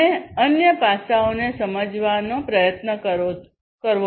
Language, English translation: Gujarati, And try to understand the different other aspects